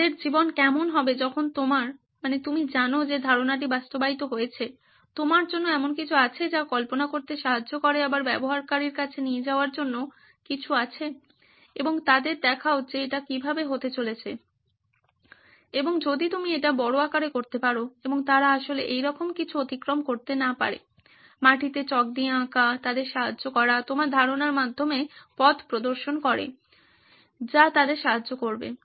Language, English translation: Bengali, What would their life look like when your, you know idea is implemented, there is something for you to help imagine as well as take it to your user and show them this is how it is going to be and if you can make it large scale and they can actually traverse through this nothing like that, chalk drawings on the ground, helping them, guide through your concept that also helps